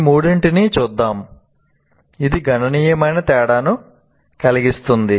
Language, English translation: Telugu, Now, let us look at these three in the which can make a great difference